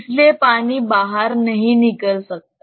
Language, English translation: Hindi, So, water cannot escape